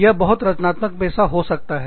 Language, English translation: Hindi, It can be, a very creative profession